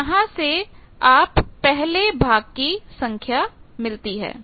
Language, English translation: Hindi, So, from this you get the first half value